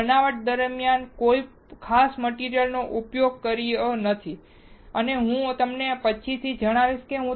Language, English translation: Gujarati, We are not using a particular material during fabrication and I will tell you later on